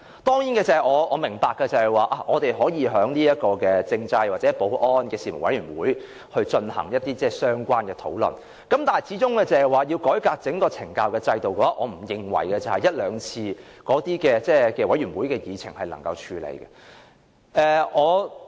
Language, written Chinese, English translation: Cantonese, 當然，我明白我們可以在政制事務委員會或保安事務委員會進行相關討論，但要改革整個懲教的制度，我不認為一兩次委員會的議程能夠處理。, Of course I understand that we can discuss this at meetings of Panel on Constitutional Affairs or Panel on Security but if we wish to overhaul the entire correctional services system I do not expect we can accomplish the task merely by a few Panel meetings